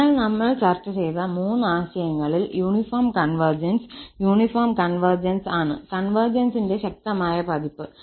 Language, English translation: Malayalam, So, the uniform converges in the three notions what we have discussed, the uniform convergence is the stronger version of the convergence